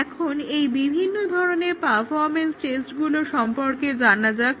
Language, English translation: Bengali, Now let us see what are these different types of performance tests that are performed